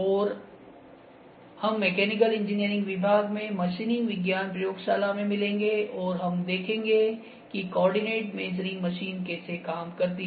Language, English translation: Hindi, And we will meet in the machining science lab in mechanical engineering department in the laboratory, and we will see how coordinate measuring machine works